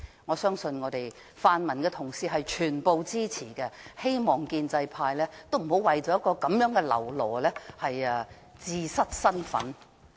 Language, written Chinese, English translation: Cantonese, 我相信全部泛民同事都會支持，希望建制派不要為了一個嘍囉而自失身份。, I believe all the pan - democratic colleagues will render support and I hope that pro - establishment Members will not give up their dignity for a lackey